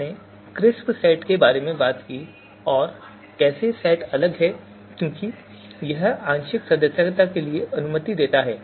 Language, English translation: Hindi, We talked about crisp set and how fuzzy set is different, because it allows the partial membership